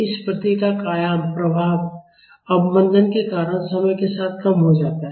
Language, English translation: Hindi, The amplitude of this response decays in time because of the affect damping